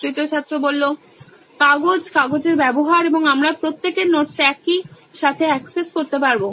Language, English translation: Bengali, Papers, paper use and also we can access everybody’s notes in a single